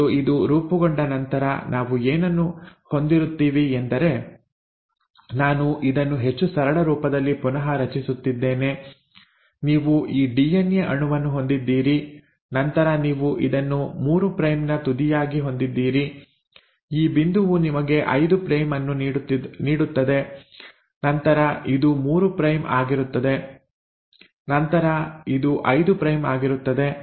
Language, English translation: Kannada, And then once this has been formed, what we'll now have is let us say, this is how I am just redrawing this with much simpler form, so you have this DNA molecule, and then you had this one as the 3 prime end, this point give you the 5 prime and then this was a 3 prime and then this was the 5 prime